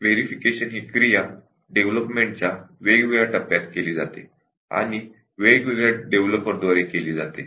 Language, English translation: Marathi, And verification, these activities are done during the different development stages and are done by the developers